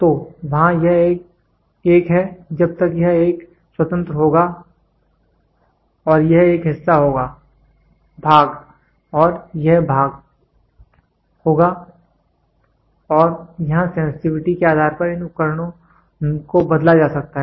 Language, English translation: Hindi, So, here this is a till this it will be an independent and this will be one part; part I and this will be part II and here depending upon this the sensitivity these devices can be changed